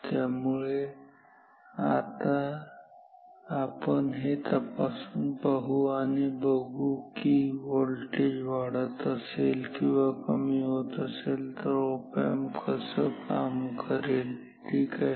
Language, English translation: Marathi, So, let us check with up these what happens if these voltages are increasing or decreasing slide and then how will the op amp behave ok